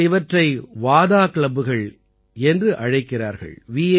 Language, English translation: Tamil, They call these VADA clubs